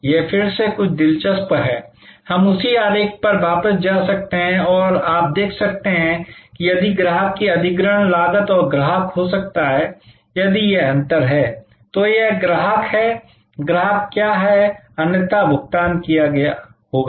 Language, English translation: Hindi, This is something interesting again, we can go back to that same diagram and you can see that, if this is the acquisition cost of the customer and the customer might have been, if this is the difference, this is the customer, what the customer would have paid otherwise